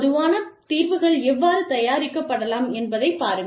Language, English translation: Tamil, And see, how common solutions, can be drafted